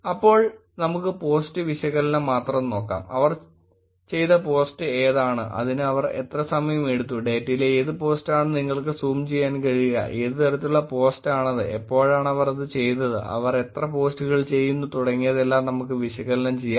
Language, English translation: Malayalam, Then let us look at only the post analysis, which is the post that they have done but if they do, what time did they do, what post you can keep zooming into the data to look at, what kind of post, when did they do, what number of posts they do